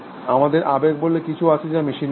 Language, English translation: Bengali, We have something called emotion that is not in machines